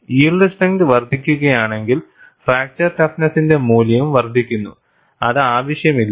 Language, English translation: Malayalam, If the yield strength increases, it is not necessary fracture toughness value also increases